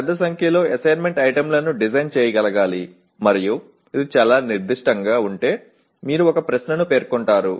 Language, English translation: Telugu, Should be able to design a large number of assessment items and if it is too specific you will end up stating one question